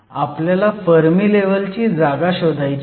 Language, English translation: Marathi, We want to know the position of the fermi level